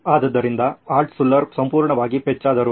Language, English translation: Kannada, So Altshuller should have been totally crestfallen